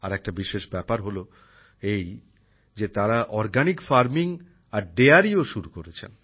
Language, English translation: Bengali, The special thing is that they have also started Organic Farming and Dairy